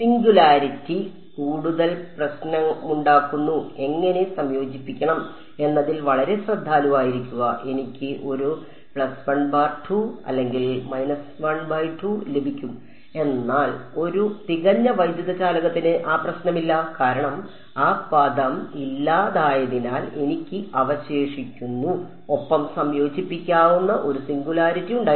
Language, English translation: Malayalam, The singularity cause more of a trouble with grad g dot n hat and to be very careful how are integrated I got a plus half or minus half, but for a perfect electric conductor that problem is not there because the grad g term is gone away I am just left with g and g had a singularity which was integrable ok